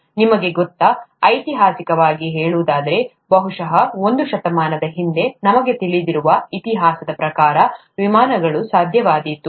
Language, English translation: Kannada, You know, historically speaking, probably a century ago, airplanes became possible, atleast according to the history that we know